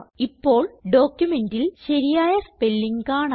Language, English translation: Malayalam, You see that the correct spelling now appears in the document